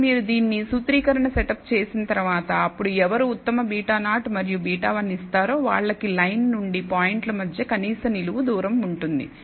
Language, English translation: Telugu, Now you can, once you set up this formulation, then we can say then who over gives the best beta 0 and beta 1 will have the minimum vertical distance of the points from that line